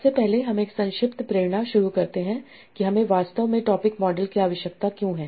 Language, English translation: Hindi, So firstly let us start with the brief motivation that why do we actually need topic models as such